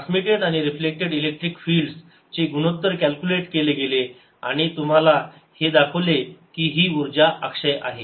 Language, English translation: Marathi, the ratios of transmitted and ah reflected electric field have been calculated and you also shown through those that energy is reconserved